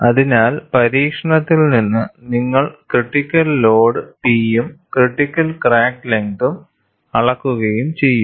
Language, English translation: Malayalam, So, from the experiment, you will measure the critical load P and the critical crack length